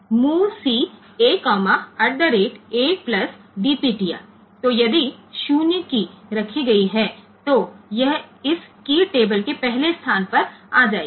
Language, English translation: Hindi, So, if the 0 key has been placed, then it will be coming to the first location of this key table